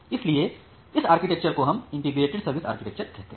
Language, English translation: Hindi, So, this particular architecture we call it as integrated service architecture